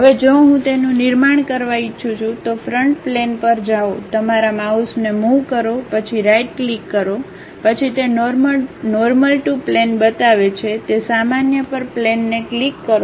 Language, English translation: Gujarati, Now, if I would like to construct it, go to Front Plane just move your mouse then give a right click, then it shows Normal To plane, click that Normal To plane